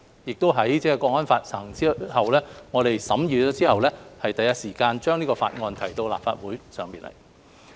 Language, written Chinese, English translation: Cantonese, 在《香港國安法》實施後，我們第一時候把這項《條例草案》提交立法會審議。, After the implementation of the Hong Kong National Security Law NSL we submitted the Bill to the Legislative Council immediately for its consideration